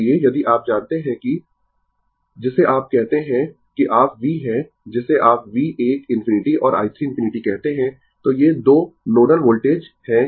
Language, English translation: Hindi, So, ah if you you know that your what you call that you are ah V your what you call V 1 infinity and V 2 infinity, these are the 2 nodal voltage